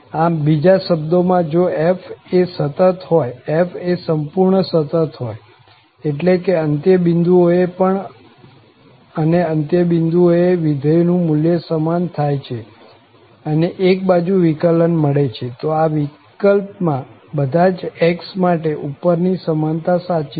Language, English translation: Gujarati, So, in other words, if f is continuous, for instance, if f is continuous completely, that means at the end point also and the value of the function matches at the end points also and one sided derivatives exist, then, in that case, above equality holds for all x